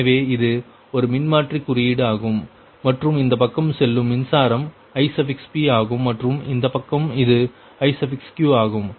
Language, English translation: Tamil, so this is a transformer representation and this side current is goings ip and this side it is iq